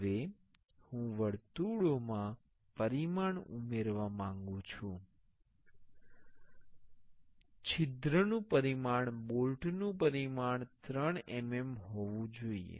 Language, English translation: Gujarati, Now, I want to add the dimension to the circles the hole dimension should be the bolt dimension was 3 mm